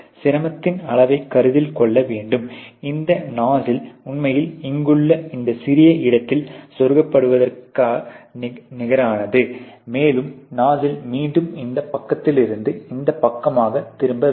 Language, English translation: Tamil, So, you have to consider the difficulty level, which is there that this nuzzle actually nets to get inserted into this small space here and the nuzzle has to again be turned from this side to this side